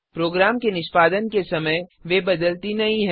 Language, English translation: Hindi, They do not change during the execution of program